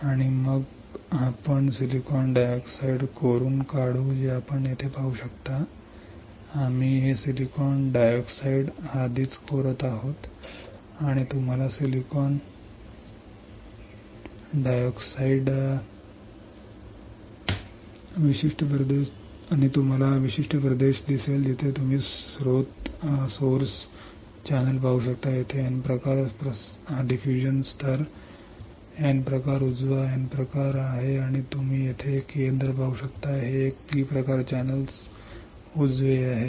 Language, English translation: Marathi, And then we will etch the silicon dioxide you can see here we are etching this is silicon dioxide already, and we had to etch the silicon dioxide; when we etch silicon dioxide, you will see this particular region where you can see source drain there is the N type diffusion layer N type right N type and you can see here a centre this is a P type channel right